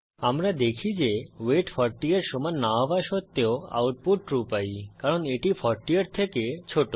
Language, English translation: Bengali, We see, that although the weight is not equal to 40 we get the output as True because it is less than 40